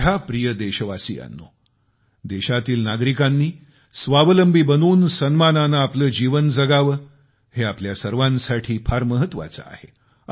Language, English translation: Marathi, My dear countrymen, it is very important for all of us, that the citizens of our country become selfreliant and live their lives with dignity